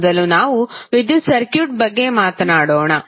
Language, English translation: Kannada, Let us talk about first the electric circuit